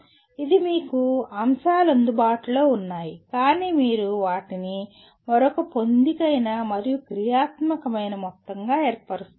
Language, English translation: Telugu, That is elements are available to you but you are putting them together to form a another coherent and functional whole